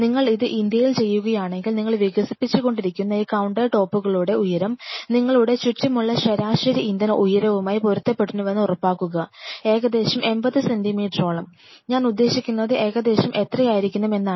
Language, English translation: Malayalam, So, ensure that the height of this countertops what you are developing should match with the average Indian height which is around you know, something between around 80 centimeter or something I mean that is where you have to